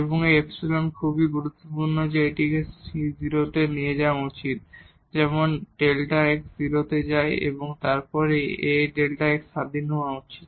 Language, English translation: Bengali, And, this epsilon very important that it should go to 0 as delta x goes to 0 and this A should be independent of delta x